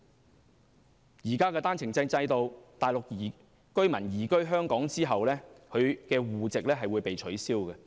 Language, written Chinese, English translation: Cantonese, 在現時的單程證制度下，內地居民移居香港後會被取消中國戶籍。, Under the current OWP system the Mainland household registrations of Mainland residents will be nullified after they have settled down in Hong Kong